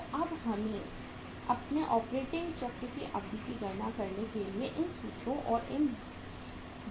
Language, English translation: Hindi, So now let us say use these formulas and these methods to calculate the duration of our operating cycle